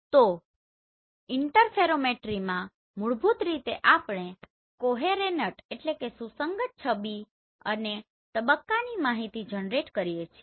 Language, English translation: Gujarati, So in Interferometry basically we generate coherent image and phase information